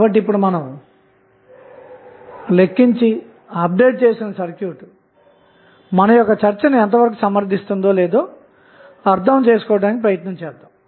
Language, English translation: Telugu, So, let us now try to understand and derive whether the updated circuit which we have just calculated justifies the claim or not